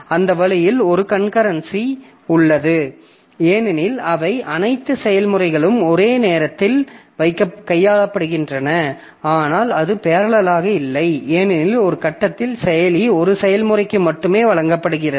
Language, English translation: Tamil, So that way there is a concurrency because all the processes they are being handled concurrently, but that is not parallel because at one point of time the processor is given to only a single process